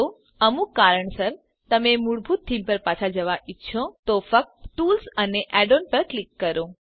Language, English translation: Gujarati, If, for some reason, you wish to go back to the default theme, then, just click on Tools and Add ons